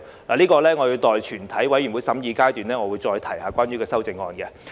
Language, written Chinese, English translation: Cantonese, 對此，我會在全體委員會審議階段再談及相關修正案。, I will revisit the relevant amendments during the consideration of the Bill by the committee of the whole Council